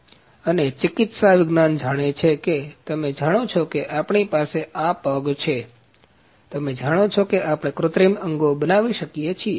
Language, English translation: Gujarati, So, and medical sciences know you know we have this foot, you know we can produce artificial limbs